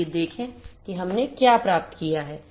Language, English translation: Hindi, So, let me check what we have got here